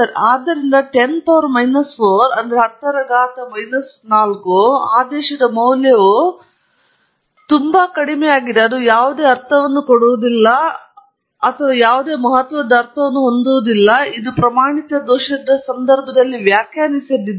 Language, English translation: Kannada, So, the value of something of the order of 10 power minus 4 by itself does not make any meaning or carry any significant meaning to it, unless it is interpreted in the context of the standard error